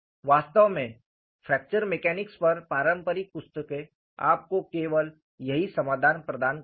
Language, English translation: Hindi, In fact, conventional books on fracture mechanics provide you only this solution